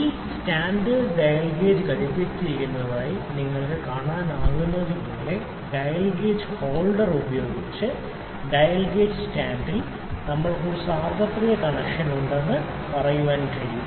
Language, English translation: Malayalam, As you can see the dial gauge is attached to this stand here the dial gauge holder, in the dial gauge stand we can say that we have a kind of universal connection